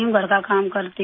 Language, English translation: Hindi, I do housework